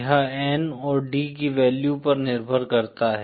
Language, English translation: Hindi, It depends on N and the value of D